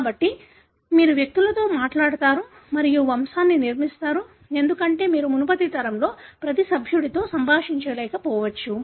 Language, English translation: Telugu, So, you talk to individuals and construct the pedigree, because you may not be interacting with every member of the, the previous generation